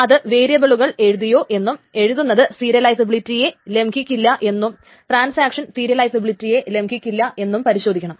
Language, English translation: Malayalam, So the validation test essentially checks whether variables can be written, whether it can be written without violating the serializability, whether transaction can complete without violating the serializability